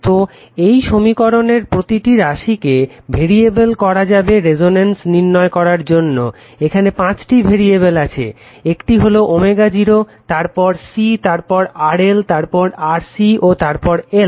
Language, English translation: Bengali, So, each of this five quantities in equation may be made variably in order to obtain resonance there are five five variables right there are five variables one is omega 0 then C then RL then RC then l